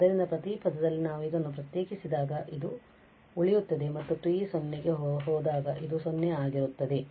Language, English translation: Kannada, So, in each term when we differentiate this the t will survive and when t goes to 0 this will be 0